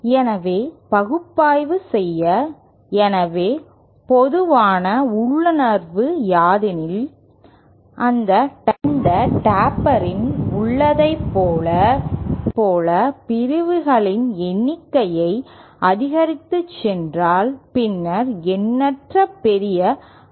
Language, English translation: Tamil, So to analyse, so as I said that the common intuition might suggest that if we go on increasing the number of sections as in the case in Tapers then we should obtain infinitely large bandwidth